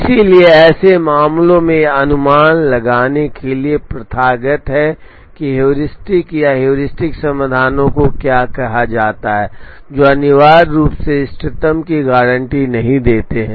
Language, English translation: Hindi, So, in such cases it is customary to resort to what are called heuristics or heuristic solutions, which essentially do not guarantee optimum